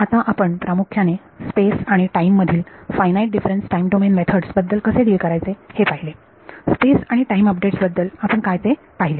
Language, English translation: Marathi, Now, let we have looked at; we have looked at basically how do you deal with the finite difference time domain methods in space and time; space and time updates is what we have seen